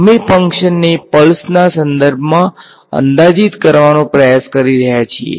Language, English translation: Gujarati, We are trying to approximate this function in terms of pulses